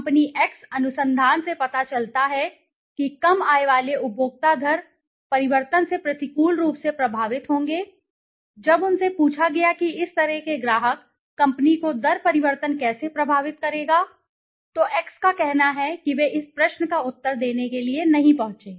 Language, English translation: Hindi, Company X research shows that low income consumers would be adversely affected by the rate change, when asked how the rate change would affect such customers company X says they did not reach to answer this question